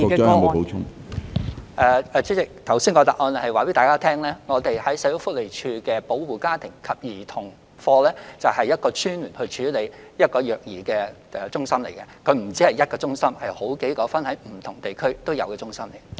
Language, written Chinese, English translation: Cantonese, 主席，我剛才已在答覆中告訴大家，社署保護家庭及兒童服務課就是一個專門處理虐兒個案的中心，它不只設有一間中心，而是設有分散各區的中心。, President I have already informed Members in my earlier reply that FCPSUs of SWD are the designated task force for handling child abuse cases . Besides there is not only one centre but many others scattered in various districts